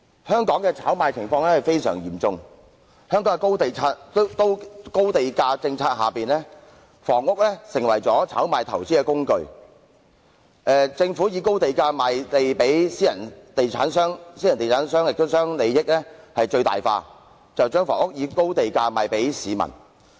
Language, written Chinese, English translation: Cantonese, 香港的炒賣情況相當嚴重，在香港的高地價政策下，房屋成為了炒賣投資工具，政府以高地價賣地予私人地產商，私人地產商將利益最大化，把房屋以高價賣給市民。, In Hong Kong property speculation is rampant . Under the high land - price policy housing units have become speculation and investment instruments the Government sells land to private property developers at high prices and the developers maximize their profits by selling housing units to members of the public at sky - high prices